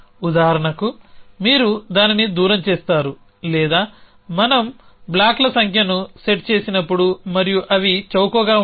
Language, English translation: Telugu, So for example, you do it leaden distance or as we set the number of blocks and so on so they are they were cheap